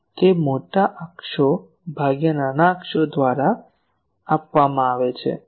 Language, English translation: Gujarati, That is given as major axis by minor axis